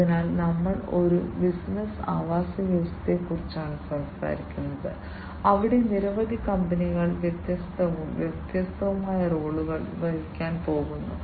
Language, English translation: Malayalam, So, we are talking about a business ecosystem, where several companies are going to play different, different roles